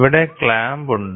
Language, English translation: Malayalam, So, here is the clamp